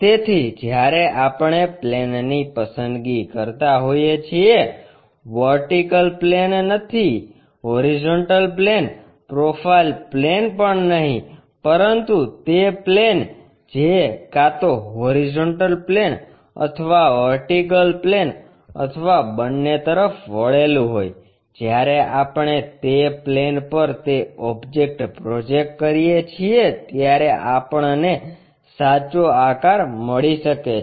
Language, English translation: Gujarati, So, when we are picking a plane not of a vertical plane, horizontal plane not profile plane, but a plane which is either inclined to horizontal plane or vertical plane or both; when we are projecting that object onto that plane we may get true shape